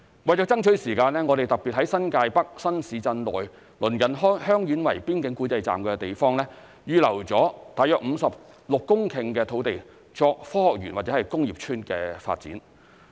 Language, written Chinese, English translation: Cantonese, 為了爭取時間，我們特別在新界北新市鎮內鄰近香園圍邊境管制站的地方，預先預留了約56公頃的土地作科學園或工業邨發展。, In order to save time we have particularly reserved about 56 hectares of land in advance for the development of science parks or industrial estates in the surrounding areas of the Heung Yuen Wai Border Control Point in the new towns of New Territories North